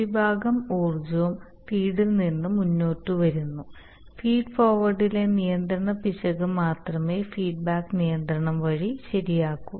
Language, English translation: Malayalam, So most of the energy is coming from the feed forward and only the control error in feed forward is corrected by feedback control